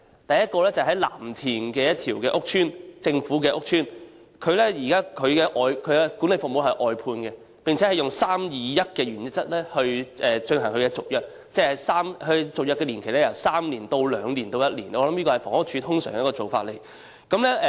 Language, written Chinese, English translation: Cantonese, 第一個例子是位於藍田的一個公共屋邨，該屋邨現時的管理服務由外判承辦商提供，並以 "3-2-1" 的原則來續約，即首次合約年期為3年，其後續約年期分別為2年及1年，我想這是房屋署通常的做法。, The first example is a public housing estate in Lam Tin . The management services of this estate are currently provided by a contractor whose contract is renewed on the 3 - 2 - 1 principle . It means that the term of the first contract is three years and the contract is subject to renewal for subsequent terms of two years and one year respectively